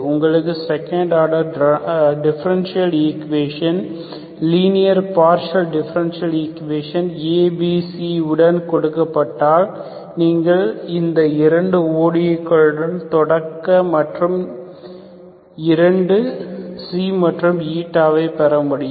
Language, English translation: Tamil, So if you are given a second order partial differential equation, linear partial differential equation with A, B, C, you start with these 2 ODEs, get, get your 2 curves xi and Eta